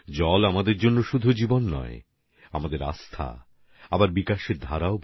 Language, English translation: Bengali, For us, water is life; faith too and the flow of development as well